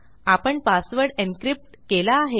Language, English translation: Marathi, We have encrypted our password